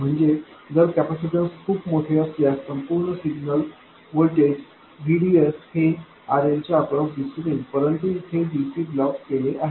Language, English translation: Marathi, So that if the capacitance is very large, then all of the signal voltage VDS will appear across RL but the DC here is blocked